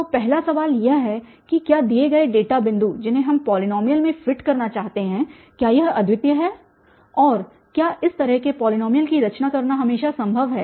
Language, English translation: Hindi, So, the first question is whether given data points the polynomial which we want to fit is it unique and does it always possible to construct such a polynomial